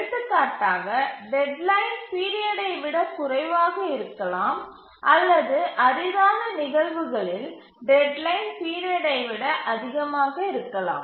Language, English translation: Tamil, For example, deadline can be less than the period or in rare cases deadline can be more than the period